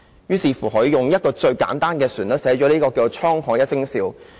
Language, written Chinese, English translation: Cantonese, 結果，他採用一個最簡單的旋律寫了"滄海一聲笑"。, The result was that he wrote a most simple melody to A Laugh on the Open Sea